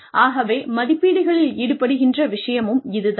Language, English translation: Tamil, So, this is something, that comes up in appraisals